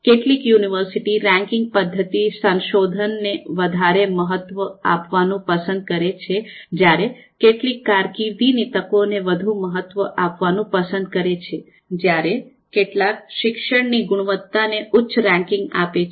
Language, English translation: Gujarati, Some university ranking methodology might prefer to give higher weight to research, some might prefer to give higher weight to career opportunities, some might prefer to give higher weight to teaching quality